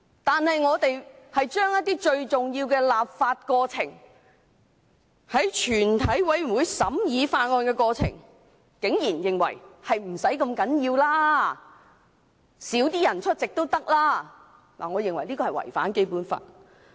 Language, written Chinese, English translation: Cantonese, 但我們竟然對最重要的立法過程，在全體委員會階段審議法案的過程，認為不是太重要的，出席議員較少也可，我認為這是違反《基本法》的。, However certain Members have nonetheless asserted that the most important legislative procedure―the procedure of scrutinizing bills during the Committee stage―is not quite so important and it is therefore alright for fewer Members to be present . In my view this will contravene the Basic Law